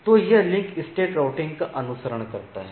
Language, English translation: Hindi, So, this follows the link state routing